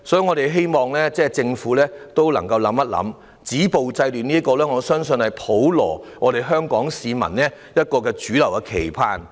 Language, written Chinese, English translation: Cantonese, 我們希望政府能夠好好思考，我相信"止暴制亂"是香港普羅市民的主流期盼。, We hope the Government can think it over properly . I believe stopping violence and curbing disorder is the mainstream expectation of the community at large in Hong Kong